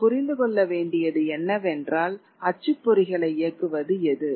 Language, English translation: Tamil, What we must understand what was driving the printers